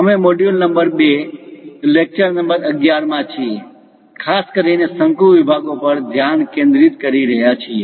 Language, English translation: Gujarati, We are in module number 2, lecture number 11, especially focusing on Conic Sections